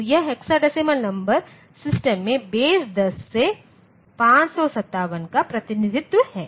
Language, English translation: Hindi, So, this is the representation of 557 to the base 10 to hexadecimal number system